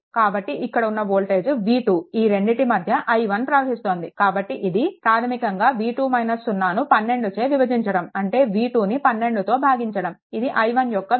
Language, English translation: Telugu, So, it is voltage here is v 2 so, it will basically v 2 minus 0 by 12, so, that means, it is actually v 2 by 12 this is your i 1